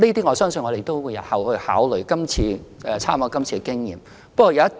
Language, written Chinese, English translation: Cantonese, 我相信我們日後也會參考今次的經驗，作出相關考慮。, I believe we can draw reference from the recent experience when considering relevant matters in future